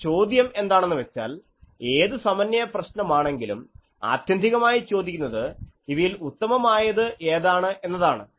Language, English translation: Malayalam, Now, the question is which in any synthesis problem finally is asked that what is the optimum of these